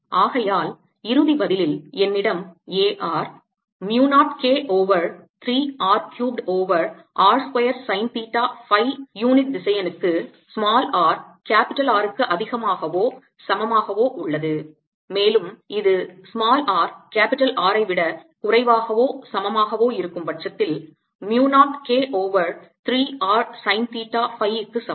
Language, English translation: Tamil, so in the final answer i have: a r equals mu naught k over three r cubed over r square sine theta phi unit vector for r greater than equal to r and is equal to mu naught k over three r sine theta phi for r lesser than r